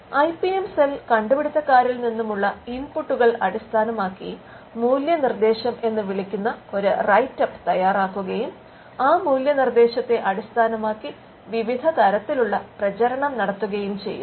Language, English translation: Malayalam, The IPM cell also prepares a write up called the value proposition based on the inputs from the inventers and based on the value proposition different types of dissemination is undertaken